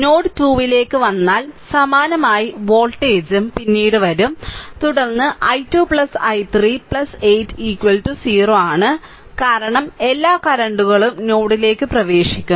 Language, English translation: Malayalam, And similarly voltage will come later similarly if you come to node 2, then i 2 plus i 3 plus 8 is equal to 0 because all current are entering into the node